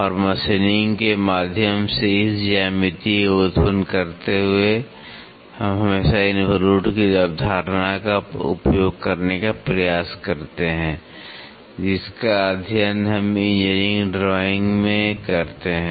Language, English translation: Hindi, And, generating this geometry through machining, we always try to use the concept of involutes which we study in the engineering drawing